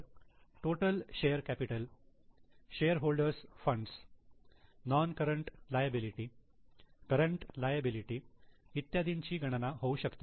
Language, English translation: Marathi, So, total share capital, shareholders funds, non current liabilities, current liabilities and so on can be calculated